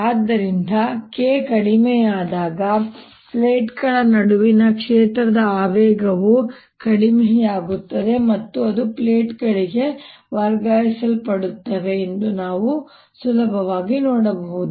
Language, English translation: Kannada, so we can easily see, as k goes down, the momentum of the field between the plates goes down and that is transferred to the plates